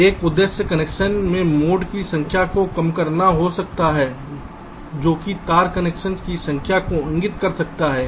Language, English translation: Hindi, so so one objective may be to reduce the number of bends in the connection, which may indicate number of wire connection